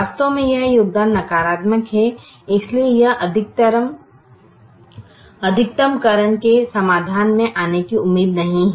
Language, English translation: Hindi, so it is not expected to come into the solution of maximization